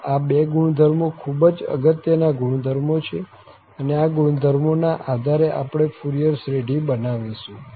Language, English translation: Gujarati, So, these two properties are the important properties and we are looking for constructing the Fourier series based on this nice property